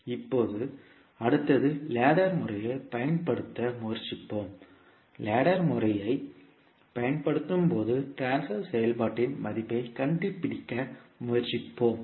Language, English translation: Tamil, Now, next is that let us try to apply ladder method and we find we will try to find out the value of transfer function when we apply the ladder method